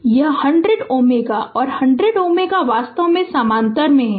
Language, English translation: Hindi, So, this 100 ohm and 100 ohm actually they are in parallel right